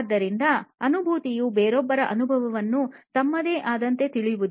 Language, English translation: Kannada, So, empathy is about going through somebody else's experience as if it were your own